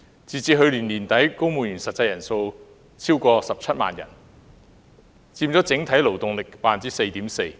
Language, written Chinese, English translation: Cantonese, 截止去年年底，本港公務員實際人數超過17萬人，佔整體勞動力 4.4%。, As at the end of last year the actual number of civil servants in Hong Kong has exceeded 170 000 accounting for 4.4 % of the overall workforce